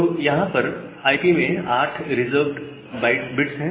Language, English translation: Hindi, So, there are 8 reserved bits in IP